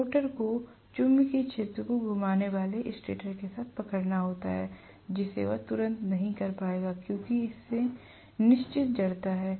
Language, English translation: Hindi, The rotor has to catch up with the stator revolving magnetic field, which it will not be able to do right away because it has certain inertia